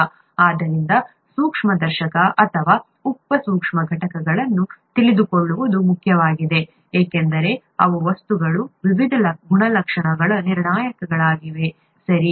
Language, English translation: Kannada, Therefore, it is important to know the microscopic or the sub microscopic components because they are the determinants of the various properties of materials, right